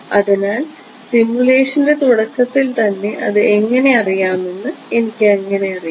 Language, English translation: Malayalam, So, how do I know it in the very first place at the beginning of the simulation what do I know it to be